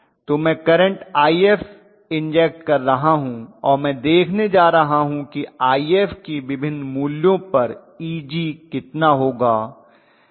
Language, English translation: Hindi, So I am going to inject a current I f, so what I am going to look at is how much is Eg for different values of I f